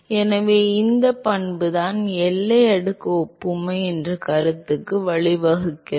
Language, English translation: Tamil, So, it is this property which leads to the concept of the boundary layer analogy